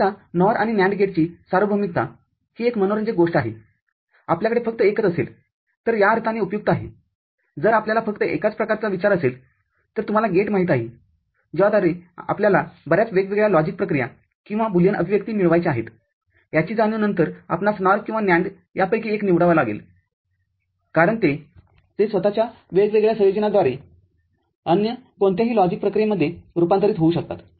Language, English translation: Marathi, Now, universality of NOR and NAND gate this is something interesting, this is useful in the sense if you have only one, if you think of only one variety of, you know, gate by which you would like to get many different logic operations or Boolean expression, realization of that then you have to pick up either of NOR or NAND, because they can be converted to any other logic operation by different combinations of themselves